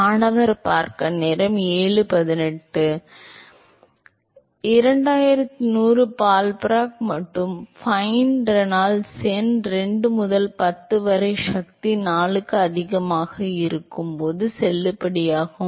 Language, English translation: Tamil, 2100 ballpark and, fine and this is valid when Reynolds number is greater than 2 into 10 to the power 4